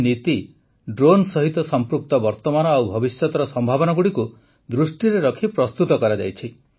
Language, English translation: Odia, This policy has been formulated according to the present and future prospects related to drones